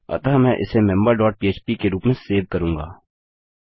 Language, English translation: Hindi, So Ill save this as member dot php